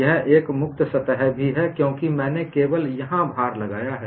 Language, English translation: Hindi, This is a free surface, this is also a free surface, because I have applied load only here